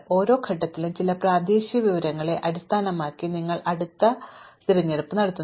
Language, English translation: Malayalam, At each stage you make the next choice based on some local information